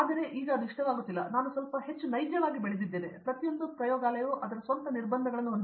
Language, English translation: Kannada, Well, now it’s not like that, I have grown to be little more realistic and every lab comes with it is own constraints